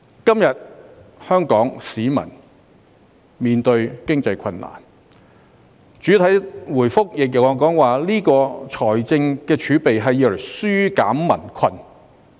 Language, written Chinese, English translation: Cantonese, 今天，香港市民面對經濟困難，而主體答覆亦指出財政儲備的作用是"紓減民困"。, Hong Kong people are now facing economic difficulties and it is pointed out in the main reply that the fiscal reserves should be used to relieve peoples burden